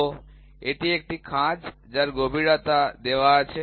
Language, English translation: Bengali, So, this is a groove, the depth which is given